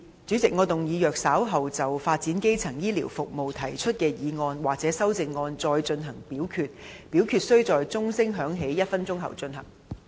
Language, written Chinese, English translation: Cantonese, 主席，我動議若稍後就"發展基層醫療服務"所提出的議案或修正案再進行點名表決，表決須在鐘聲響起1分鐘後進行。, President I move that in the event of further divisions being claimed in respect of the motion on Developing primary healthcare services or any amendments thereto this Council do proceed to each of such divisions immediately after the division bell has been rung for one minute